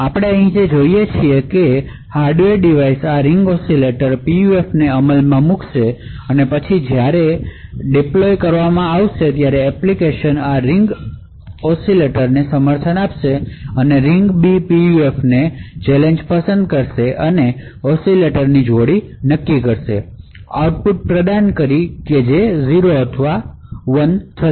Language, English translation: Gujarati, What we see over here is that the hardware device would implement this Ring Oscillator PUF and later when deployed, an application could unable this ring was B PUF, choose a challenge, essentially choose a pair of these ring oscillators, provide an output which is either 1 or 0